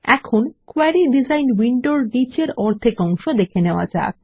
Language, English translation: Bengali, For now, let us see the bottom half of the Query design window